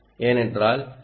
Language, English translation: Tamil, so that is the